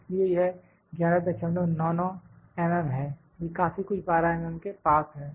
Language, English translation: Hindi, 99 it is quite close to the 12 mm